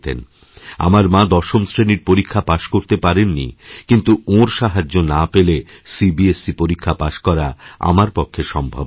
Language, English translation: Bengali, My mother did not clear the Class 10 exam, yet without her aid, it would have been impossible for me to pass the CBSE exam